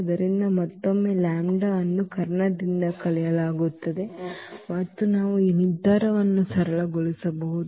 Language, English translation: Kannada, So, again this lambda is subtracted from the diagonal and we can simplify this determinant